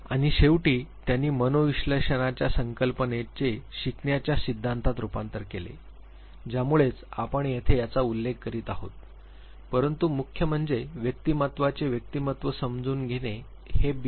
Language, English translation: Marathi, And finally, they translated the concept of psychoanalysis into learning theories that is the reason why we are referring to this here, but the major, understanding of personality of individual came out of the proposition of B